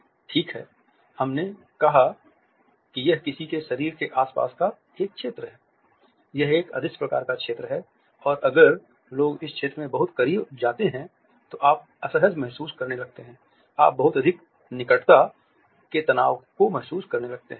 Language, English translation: Hindi, Well, we said that it is an area around somebody’s body it is an invisible kind of zone and if people go into it too closely you start to feel uncomfortable, you start to feel that stress of too much proximity